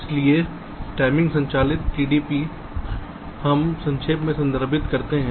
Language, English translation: Hindi, so timing driven placement, tdp, we refer to